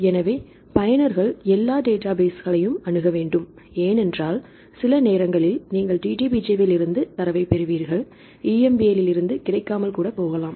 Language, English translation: Tamil, So, users have to access all the databases, that because sometimes you get the data from DDBJ may not be available EMBL